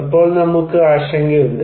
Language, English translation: Malayalam, Then, we only are concerned